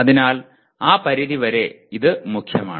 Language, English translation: Malayalam, So to that extent this is central